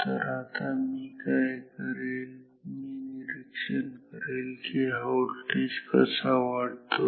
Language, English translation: Marathi, Now, what I will do is this I observe that this voltage increases